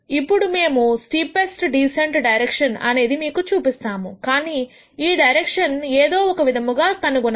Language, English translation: Telugu, Now, we will show you what the steepest descent direction is, but you gure out this direction somehow